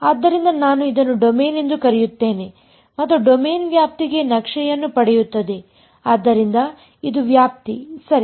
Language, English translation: Kannada, So, I will call this a domain and the domain gets mapped to the range right; so this is the range ok